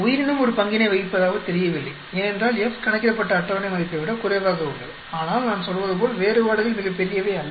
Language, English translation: Tamil, Organism does not seem to play a role, because F calculated is less than the table value so, but then as I am saying then differences are not very large